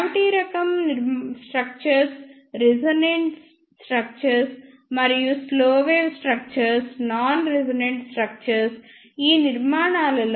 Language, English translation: Telugu, Cavity type structures are the resonant structures; and slow wave structures are the non resonant structures